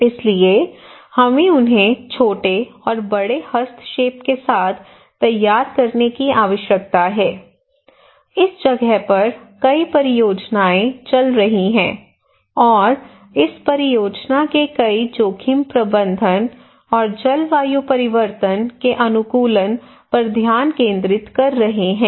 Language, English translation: Hindi, So therefore we need to prepare them small and large intervention we need to promote there, there are so many projects are going on there in this place and many of this project are focusing on the disaster risk management and climate change adaptations